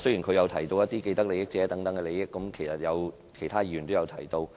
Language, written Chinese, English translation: Cantonese, 他亦提到既得利益者等，其他議員亦有提及。, He also mentioned those vested interests so did other Members